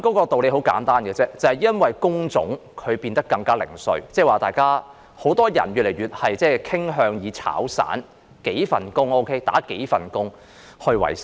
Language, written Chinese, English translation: Cantonese, 道理很簡單，就是因為工種變得更零碎，越來越多人傾向"炒散"，就是做數份工作維生。, The reason is simple . Jobs have become increasingly fragmented . More people tend to work on a part - time basis which means they are doing several jobs to earn a living